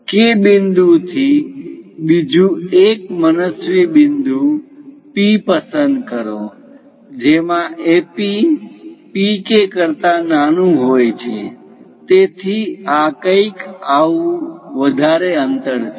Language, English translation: Gujarati, From K point, pick another arbitrary point P such that AP is smaller than PK; so something like this is greater distance